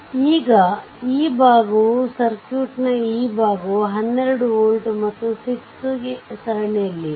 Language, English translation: Kannada, So, now this portion this portion of the circuit this portion of the circuit is 12 volt and this 6 ohm are in series